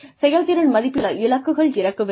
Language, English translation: Tamil, Performance appraisals should have some targets